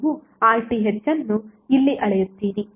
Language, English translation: Kannada, You will measure the RTh here